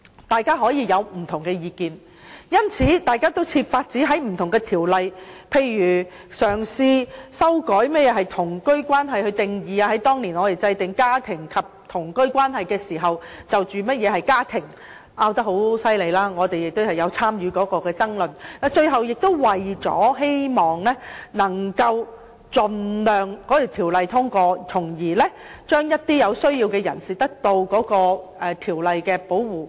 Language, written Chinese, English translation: Cantonese, 大家可以有不同意見，因此，大家均設法在不同條例中提供一些保障，例如嘗試修改何謂同居關係的定義，而當年我們在制定與家庭及同居關係有關的法例時，大家就家庭的定義爭拗得很厲害，我們亦有參與有關的爭論，最終大家也是希望盡量令該條例通過，使有需要的人士得到條例的保護。, Members can hold different views and this is why we are trying to provide some protection in different ordinances by for instance trying to amend the definition of a cohabitation relationship . Back in those years when we enacted legislation relating to family and cohabitation relationships we argued fiercely on the definition of family . We had taken part in the debates and ultimately we all hoped that the legislation could be passed so that people in need would be afforded protection under this legislation